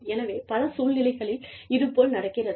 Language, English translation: Tamil, So, in many cases, this does happen